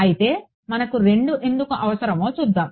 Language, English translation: Telugu, So, let us see why do we need 2